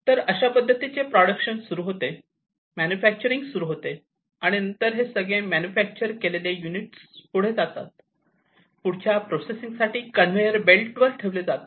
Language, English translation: Marathi, So, the production starts, manufacturing starts, and then each of these manufactured units are going to be produced, and put on the conveyor, for further processing